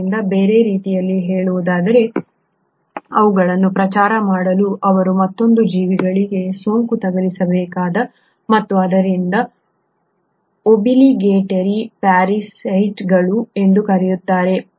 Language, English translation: Kannada, So in other words just for them to propagate they need to infect another living organism and hence are called as the obligatory parasites